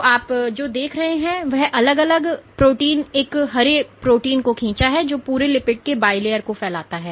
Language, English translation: Hindi, So, what you see I have drawn three different protein one green protein which spans the entire lipid bilayer